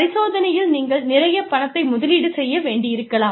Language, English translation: Tamil, You may need to invest a lot of money, in experimentation